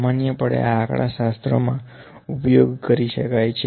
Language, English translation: Gujarati, Generally, this can be used in statistics